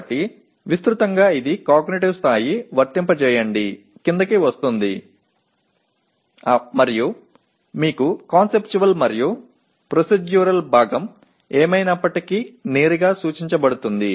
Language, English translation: Telugu, So broadly it belongs to the Apply cognitive level and you have Conceptual and Procedural part is anyway implied directly